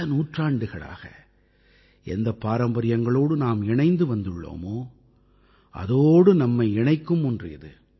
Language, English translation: Tamil, It's one that connects us with our traditions that we have been following for centuries